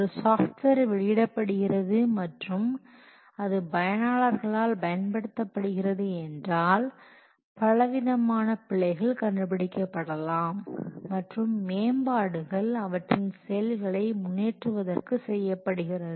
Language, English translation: Tamil, As a software is released and used by the customers, many errors are discovered and then enhancements are made to what improve the functionalities